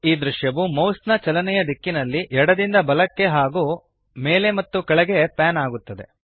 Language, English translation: Kannada, The scene pans in the direction of the mouse movement both left to right and up and down